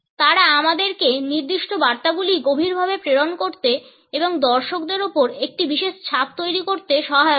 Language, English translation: Bengali, They help us to pass on certain messages in a profound manner and create a particular impression on the viewer